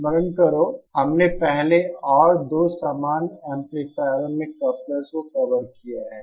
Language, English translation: Hindi, Recall that we have covered couplers previously and two identical amplifiers